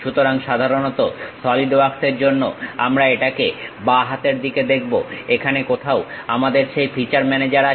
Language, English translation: Bengali, So, usually for Solidworks we see it on the left hand side, somewhere here we have that feature manager